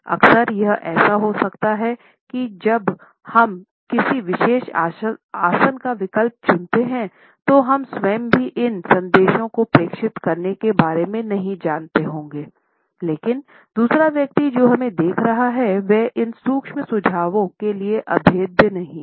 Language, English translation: Hindi, Often it may happen that when we opt for a particular posture, we ourselves may not be aware of transmitting these messages, but the other person who is looking at us is not impervious to these subtle suggestions